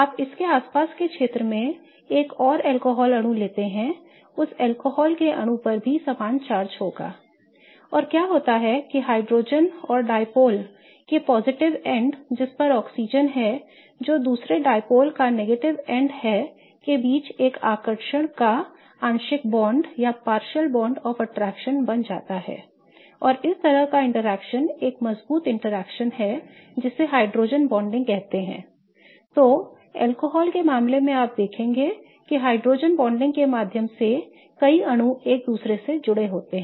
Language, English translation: Hindi, You take another alcohol molecule in its vicinity, that alcohol molecule will also have similar charges and what happens is that a partial bond of attraction is created between the hydrogen that is the positive end of one of the dipoles with the oxygen that is the negative end of the other dipole and this kind of interaction is kind of strong interaction and this is named as hydrogen bonding